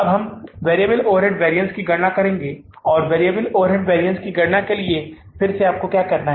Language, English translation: Hindi, Now we'll calculate the variable overhead variance, variable overhead variance